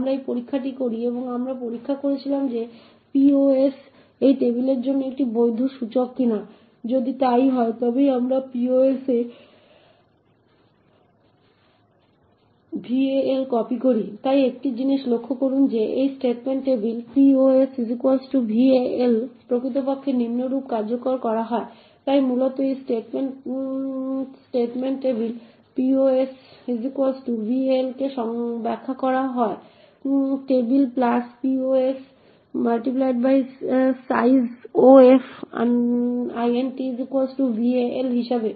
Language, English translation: Bengali, We do this check and we checked whether pos is a valid index for this table, if so only then we copy val into pos, so one thing to note is that this statement table of pos equal to val is actually executed as follows, so essentially this statement table[pos] = val is interpreted as *(table + pos * sizeof) = val